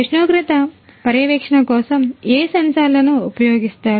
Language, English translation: Telugu, Which sensors are used for temperature monitoring